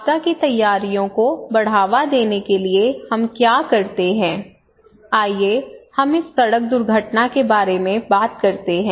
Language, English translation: Hindi, So what we do generally in order to promote disaster preparedness of risk preparedness let us say this road accident okay or something